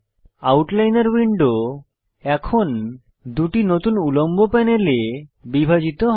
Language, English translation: Bengali, The Outliner window is now divided into two new panels